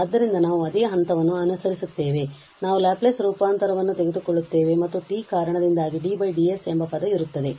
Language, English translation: Kannada, So, we will follow the same step, we will take the Laplace transform and because of t there will be a term d over ds